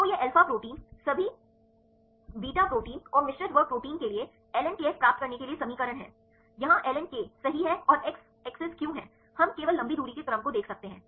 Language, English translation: Hindi, So, this is the equation for getting the ln kf for all alpa proteins all beta proteins and the mixed class proteins Here why is the ln k right and the x axis, we can see the only the long range order